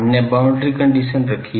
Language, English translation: Hindi, We put boundary condition